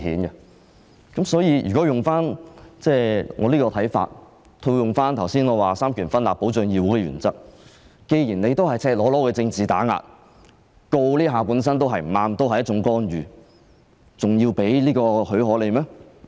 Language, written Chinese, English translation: Cantonese, 按我這種看法，再套用我剛才說三權分立、保障議會的原則，既然這是赤裸裸的政治打壓，檢控本身已是不正確，是一種干預，我們還要給予許可嗎？, In my opinion basing on the separation of powers as I have just mentioned and the principle of protecting the Council as this is naked political prosecution which is incorrect and a kind of interference should we still give leave?